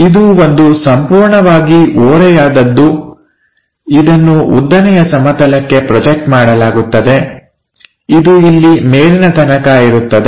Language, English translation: Kannada, This is a entire incline one projected onto vertical plane which goes all the way up here